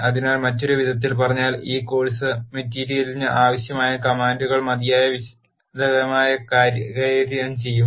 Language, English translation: Malayalam, So, in other words commands that are required for this course material will be dealt in sufficient detail